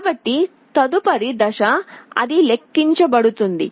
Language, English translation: Telugu, So, the next step it will be counting down